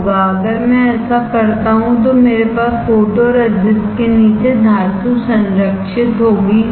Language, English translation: Hindi, If I do that then I will have metal protected only beneath the photoresist correct